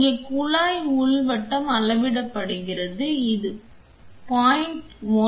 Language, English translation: Tamil, Here the tube inner diameter is what is being measured this is 0